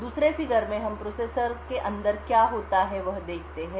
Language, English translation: Hindi, In the second figure what we show is what happens inside the processor